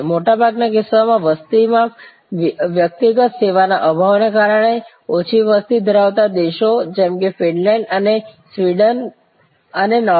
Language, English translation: Gujarati, In most cases, because of this lack of service personal in a population, low population countries like Finland and Sweden and Norway